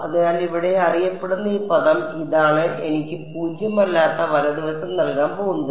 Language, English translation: Malayalam, So, these this known term over here this is what is going to give me a non zero right hand side